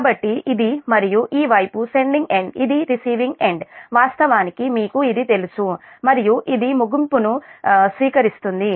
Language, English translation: Telugu, so, and this is, and this side is the sending end, this is sending it, of course you know this, and this is receiving end